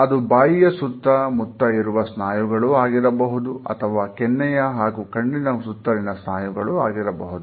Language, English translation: Kannada, A smile may involve several muscles, muscles which are around the mouth, muscles on our cheeks, and muscles around our eyes also